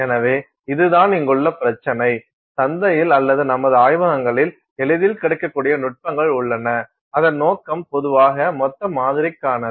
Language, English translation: Tamil, So, this is the issue here, we have techniques that are readily available in the marketplace or in our labs which are typically intended for bulk samples and it could be any property